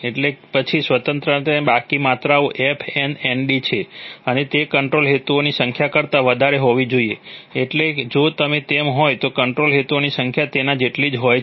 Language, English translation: Gujarati, So then the remaining degrees of freedom are f n nd and that must be greater than the number of control objectives, so if it is, so if the number of control objectives is equal to that